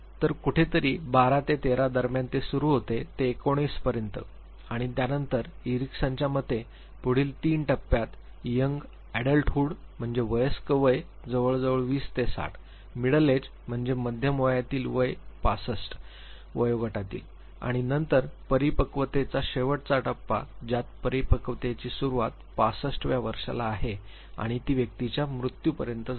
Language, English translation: Marathi, So, somewhere between 12 and 13 it starts goes up to nineteen and then according to Erickson the 3 stages which follows are young adulthood which is roughly twenties the middle adulthood which is 30 to 60, 65 years of age and then the maturity stage the last stages maturity the onset is 65 and it goes up to death of the individual